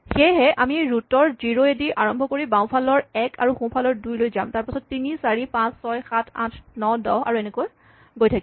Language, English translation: Assamese, So, we start with 0 at the root, then 1 on the left, 2 on the right then 3, 4, 5, 6, 7, 8, 9, 10 and so on